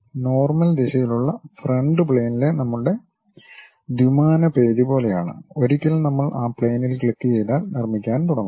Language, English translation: Malayalam, This is more like our 2 dimensional page on frontal plane in the normal direction, once I click that frontal plane we are going to construct